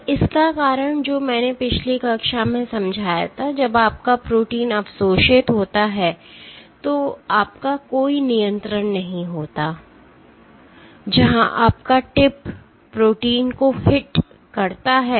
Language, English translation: Hindi, And the reason for that I explained in last class was, when your protein is absorbed you have no control, where your tip hits the protein